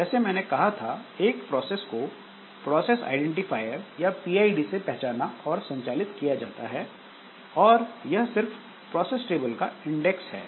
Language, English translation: Hindi, So, as I said that a process is identified and managed by the process identifier or PID which is nothing but index of the process table